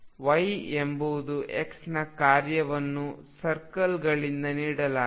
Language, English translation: Kannada, Y is a function of x is given by the circles